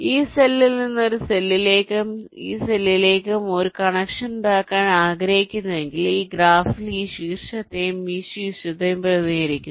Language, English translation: Malayalam, if suppose i want to make a connection from this cell to this cell, this cell to this cell, which in this graph represents this vertex and this vertex